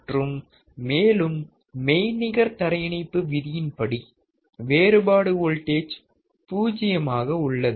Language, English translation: Tamil, And then because of the virtual ground concept we have difference voltage zero